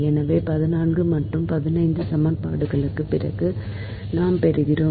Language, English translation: Tamil, so after this, from equation fourteen and fifteen, we obtain: so in equation fourteen